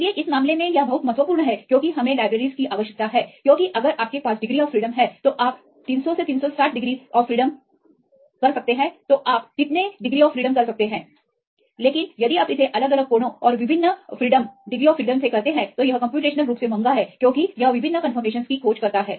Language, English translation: Hindi, So, in this case it is very important because we need the libraries right because if you have the rotations how much degrees one can rotate 300 360 degree you can rotate, but if you do it different angles and different rotations it is computationally very expensive because it search for different conformations